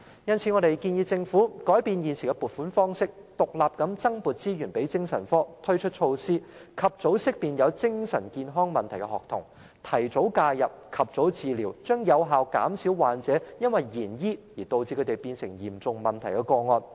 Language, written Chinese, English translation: Cantonese, 因此，我們建議政府改變現時的撥款方式，獨立增撥資源予精神科，推出措施，及早識別有精神健康問題的學童，提早介入，及早治療，這將有效減少患者因延遲治療而演變成嚴重問題的個案。, Therefore we suggest that the Government should make a change in the existing funding methodology and allocate additional resources to the department of psychiatry separately so that measures can be introduced to ensure early identification of students with mental health problems for early intervention and timely treatment . This can effectively reduce the number of serious cases caused by the delay in medical treatment